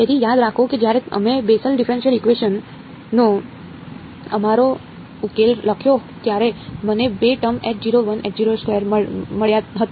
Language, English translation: Gujarati, So, remember we had when we wrote our solution to the Bessel differential equation I got two terms H naught 1, H naught 2